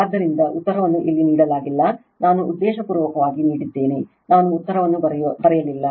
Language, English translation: Kannada, So, answer is not given here I given intentionally I did not write the answer